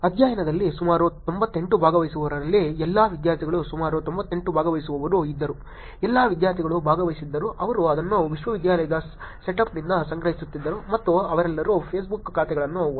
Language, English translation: Kannada, In about 98 participants all students in the study, there were about 98 participants, all students were the ones who participated they were collecting it from the university setup and they all had Facebook accounts also